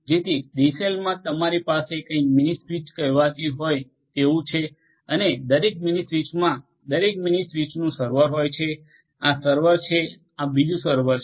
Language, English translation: Gujarati, So, in a DCell you have something called the mini switch mini switch and every mini switch has every mini switch has a server, this is a server, this is another server